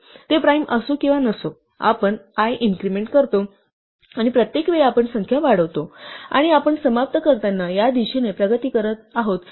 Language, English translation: Marathi, And whether or not it is a prime, we increment i; and each time, we increment count we are making progress towards this while terminating